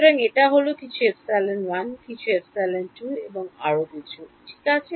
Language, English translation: Bengali, So, this is some epsilon 1, this is some epsilon 2 and so on right